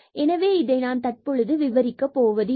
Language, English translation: Tamil, So, in I am not going to explain this now